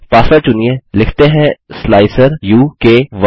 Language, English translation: Hindi, Choose a password, lets say slicer u k 1